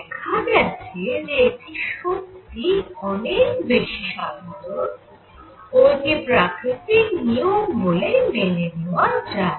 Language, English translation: Bengali, And it turns out that this is more general and it becomes a law of nature